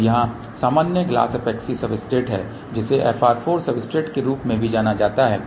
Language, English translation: Hindi, So, here normal glass epoxy substratewhich is also known as fr 4 substrate